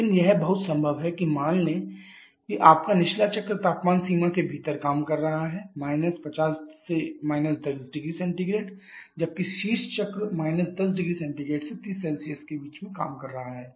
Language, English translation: Hindi, But it is very much possible like suppose you are bottoming cycle is working within a temperature range of 50 to 10 degree Celsius whereas the top one topping cycle is working at 10 degree Celsius to 30 Celsius